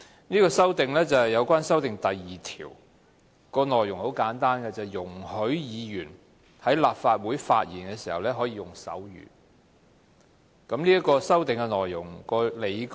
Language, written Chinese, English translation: Cantonese, 這項修訂是關於《議事規則》第2條，容許議員在立法會發言時可以用手語，我稍後會詳述這項修訂的理據。, This amendment concerns RoP 2 . It seeks to allow Members to use sign language when they speak in the Legislative Council . I will later explain in detail my reasons for the amendment